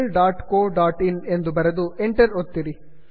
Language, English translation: Kannada, Google.co.in and press enter